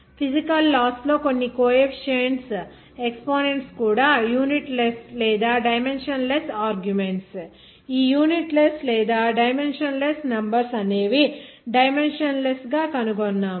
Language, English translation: Telugu, That I have found some coefficients in physical laws even exponents are unit less or dimensionless arguments are unit less dimensionless numbers are dimensionless